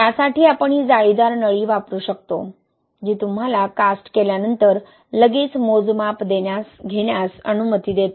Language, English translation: Marathi, For that we can use this corrugated tube, right, which allows you to take measurements immediately after casting